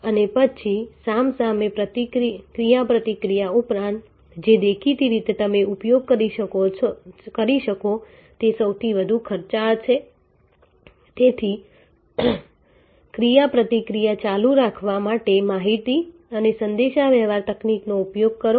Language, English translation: Gujarati, And then besides the face to face interaction which is obviously, the most the costliest you can use therefore, technology the information and communication technology to keep the interaction going